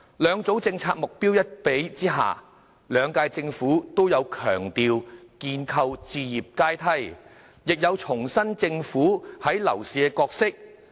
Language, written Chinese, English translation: Cantonese, 兩組政策目標比較之下，兩屆政府都有強調建構置業階梯，亦有重申政府在樓市的角色。, In comparing the two sets of policy objectives both Governments emphasized building a housing ladder and reiterated its role in the property market